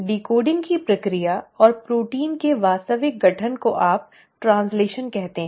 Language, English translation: Hindi, That process of decoding and the actual formation of proteins is what you call as translation